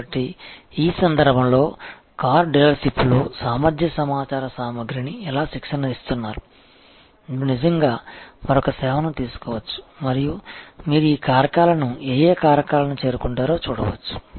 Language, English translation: Telugu, So, in this case in the car dealership, the how once are training attitude capacity information equipment, you can actually take up another service and see, what will be the how factors by which you will actually meet these what factors